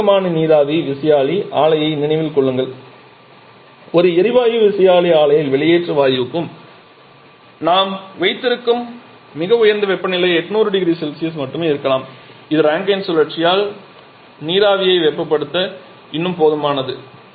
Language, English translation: Tamil, Remember a conventional steam turbine plant the highest temperature that we have for the exhaust gas in a gas turbine plant maybe only of the order of 800 degree Celsius which is still sufficient to heat the steam in a Rankine cycle